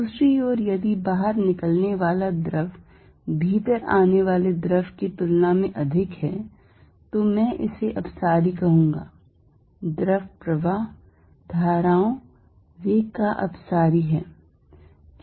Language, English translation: Hindi, On the other hand if fluid going out is greater than fluid coming in I will say this divergent, the fluid flow, the velocities of the current divergent